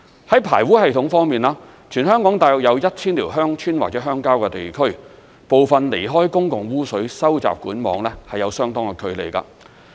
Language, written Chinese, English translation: Cantonese, 在排污系統方面，全香港大約有 1,000 條鄉村或鄉郊地區，部分離開公共污水收集管網有相當的距離。, On sewerage systems of the approximately 1 000 villages or rural areas in Hong Kong some of them are considerably distant from the public sewer network